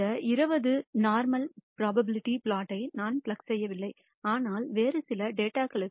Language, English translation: Tamil, I did not plug the normal probability plot for these 20 points, but for some other set of data